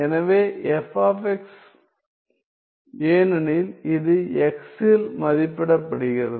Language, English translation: Tamil, So, f of x because it is evaluated at x